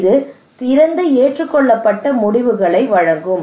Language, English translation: Tamil, It will give better accepted decisions